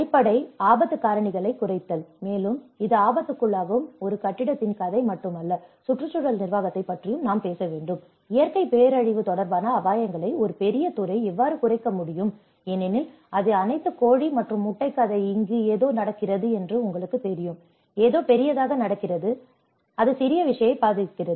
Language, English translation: Tamil, Reduce the underlying risk factors; and it is not just a story of a building which is prone to the hazard, it also we have to talk about the environmental management, how a larger sector can reduce the risks related to natural disaster because it is all a chicken and egg story you know something happens here, something happens big, something happens big it happens it affects the small thing